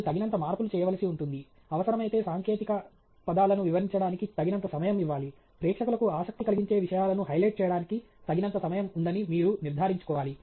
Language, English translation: Telugu, You have to make enough modifications, you have to ensure that there is enough time to explain technical terms if necessary, enough time to highlight the kinds of things that the audience may be interested in